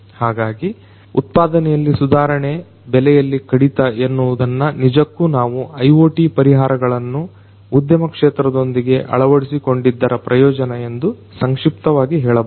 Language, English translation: Kannada, So, improving the productivity, reducing the cost is essentially in a nutshell we can say that are the benefits of integration of IoT solutions in the industry sector